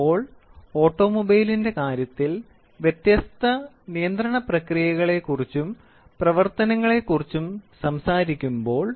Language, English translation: Malayalam, So, when we talk about different control process and operations in terms of automobile